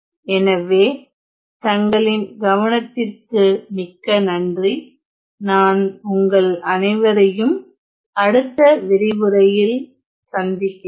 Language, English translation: Tamil, So, thank you very much for listening I will see you in the next lecture